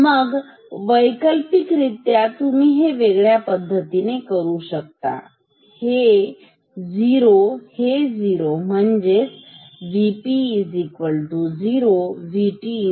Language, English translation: Marathi, So, alternatively, so you can do this in many different ways, so this is 0, this is 0; that means, V P is equal to 0